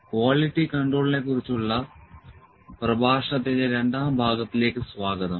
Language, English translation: Malayalam, Welcome back to the second part of lecture on the Quality Control